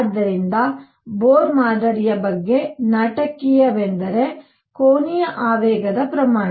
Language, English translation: Kannada, So, dramatic about Bohr’s model was quantization of angular momentum